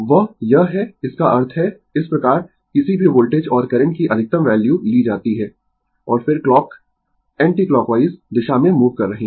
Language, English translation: Hindi, That is this that means, this way you take the maximum value of any voltage and current, and then you are moving in the clock anticlockwise direction